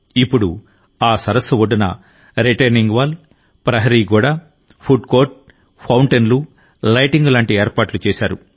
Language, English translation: Telugu, Now, many arrangements have been made on the banks of that lake like retaining wall, boundary wall, food court, fountains and lighting